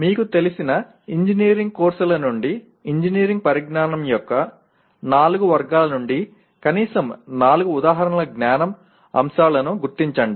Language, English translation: Telugu, Identify at least four examples of knowledge elements from the four categories of engineering knowledge from the engineering courses you are familiar with